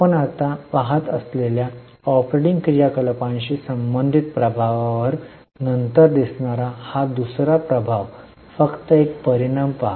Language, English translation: Marathi, The second effect we will see later on the effect related to operating activities we are looking right now